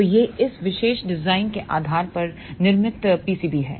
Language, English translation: Hindi, So, this is the fabricated pcb based on this particular design